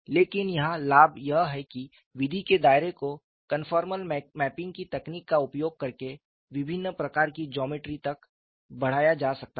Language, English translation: Hindi, But the advantage here is the scope of the method can be extended to variety of geometries using the technique of conformal mapping